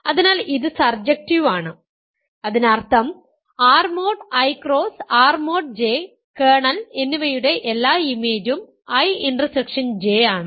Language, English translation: Malayalam, So, this is surjective; that means, image is all of R mod I cross R mod J and kernel is I intersection J ok